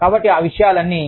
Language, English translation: Telugu, So, all of that stuff